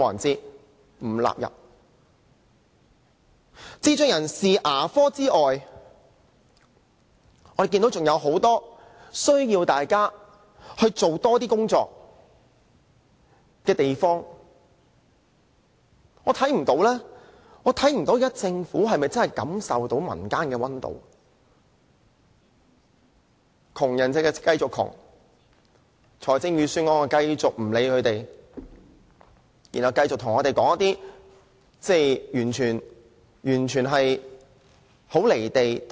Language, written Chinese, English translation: Cantonese, 除了智障人士的牙科服務外，還有很多地方需要政府多做工作，但我不知道政府是否真的感受不到民間的溫度，窮人繼續貧窮，政府在預算案中則繼續對問題置之不理，繼續對我們說一些很"離地"的說話。, Apart from this dental service for people with intellectual disabilities there are many other areas of work the Government needs to work harder on . I do not know if the Government is really numb to the scorching suffering of the people . People continue to live in poverty but the Government continues to say nothing about this problem in the Budget except saying something unrealistic to us